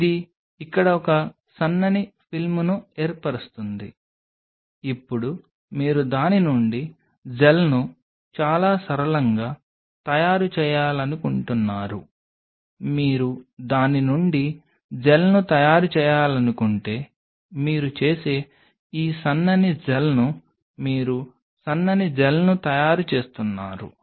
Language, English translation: Telugu, It forms a thin film out here, now you wanted to make a gel out of it very simple if you want to make a gel out of it what you do is this thin gel you are making a thin gel